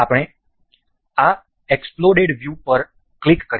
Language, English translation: Gujarati, We will click on this exploded view